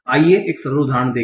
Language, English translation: Hindi, So let us see one simple example